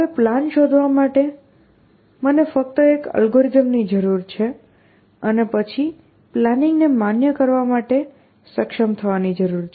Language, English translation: Gujarati, Now, all I need is an algorithm to find a plan and then of course, I also need to be able to validate a plan